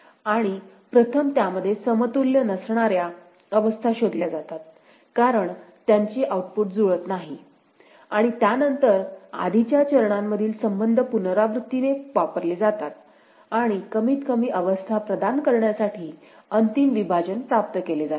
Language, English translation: Marathi, And in it, states are identified first which cannot be equivalent as their output is not matched and after that the relationships in previous steps are used iteratively and final partition is obtained to provide minimized states